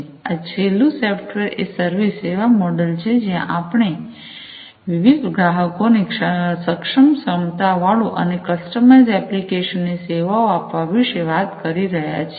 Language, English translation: Gujarati, And then the last one is the software as a service model, where we are talking about offering online capable a capabilities and customized applications to different customers